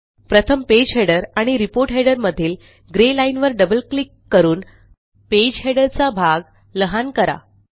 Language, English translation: Marathi, Next let us reduce the Report header area by double clicking on the grey line between the report header and the header